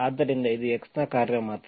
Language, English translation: Kannada, So that it is only function of x